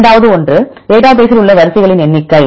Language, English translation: Tamil, Then second one is number of sequences in the database